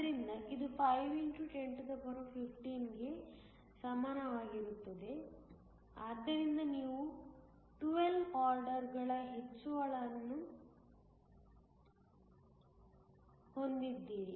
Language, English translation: Kannada, So, it is equal to 5 x 1015 so you have an increase by 12 orders of magnitude